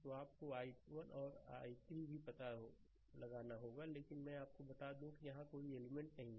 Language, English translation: Hindi, So, you have to find out i 1 also i 3, but just let me tell you there is no element here